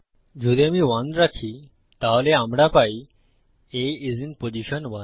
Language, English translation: Bengali, If I put 1 then we get A is in position 1